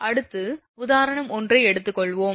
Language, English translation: Tamil, Next, we will take your example say this is example 1